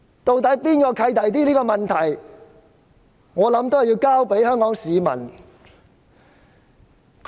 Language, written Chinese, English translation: Cantonese, 對於何者較"契弟"的問題，我認為要交由香港市民判斷。, I think the judgment of this should be left with Hong Kong people